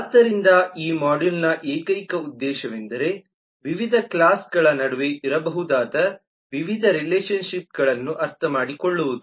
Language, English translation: Kannada, so the single objective of this module would be to understand a variety of relationships that may exist between different classes